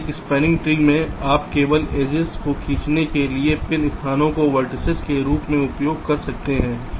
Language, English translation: Hindi, now, in a spanning tree you can only use the pin locations has the vertices for drawing the edges